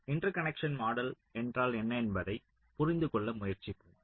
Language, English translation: Tamil, ah, let me try to understand what interconnecting model is all about